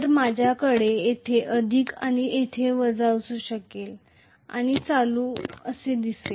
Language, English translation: Marathi, So, I may have a plus here and minus here and the current will flow like this, right